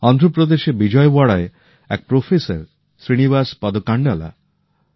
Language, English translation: Bengali, There is Professor Srinivasa Padkandlaji in Vijayawada, Andhra Pradesh